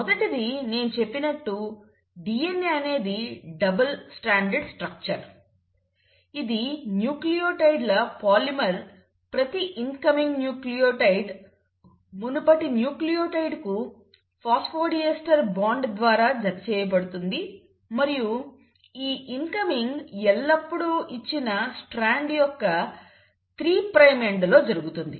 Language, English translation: Telugu, The first one, as I told you that DNA is a double stranded structure, it is a polymer of nucleotides, each incoming nucleotide attaches to the previous nucleotide through a phosphodiester bond and this incoming always happens at the 3 prime end of the given Strand